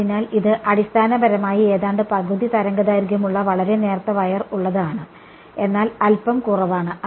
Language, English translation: Malayalam, So, it is basically a very thin wired almost half a wavelength, but slightly less ok